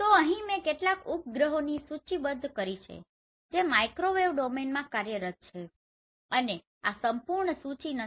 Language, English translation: Gujarati, So here I have listed some of the satellite which are working in microwave domain and this is not the complete list